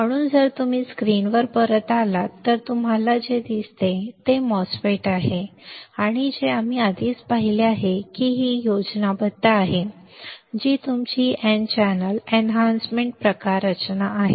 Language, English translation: Marathi, So, if you come back to the screen what you see is the MOSFET that we have already seen this schematic which is your n channel enhancement type structure